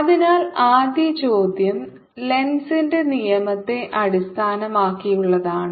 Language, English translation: Malayalam, so this first question is based on lenz's law